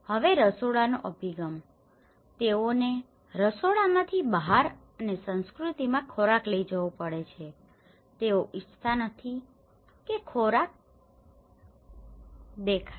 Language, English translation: Gujarati, Also the orientation of the kitchens now, they have to carry the food from the kitchen to the outside and in their cultures, they donÃt want the food to be seen